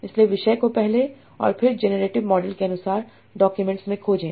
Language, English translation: Hindi, So topics are generated first and then the documents as per the generative model